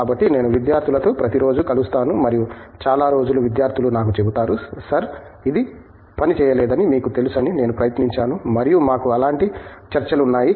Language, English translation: Telugu, So, I meet with the studentsÕ everyday and most of the days the students will tell me; Sir, I tried that you know it did not work and we have discussions like that